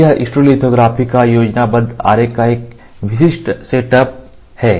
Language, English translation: Hindi, So, this is a typical setup of stereolithography schematic diagram